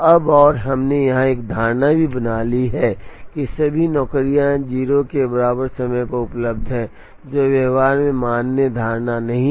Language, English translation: Hindi, Now, and we also made an assumption here that all the jobs are available at time equal to 0, which is not a valid assumption in practice